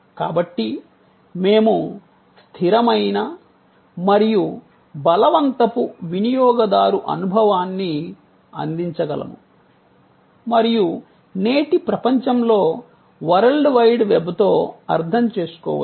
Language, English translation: Telugu, So, that we can provide consistent and compelling user experience and understand that in today's world with the World Wide Web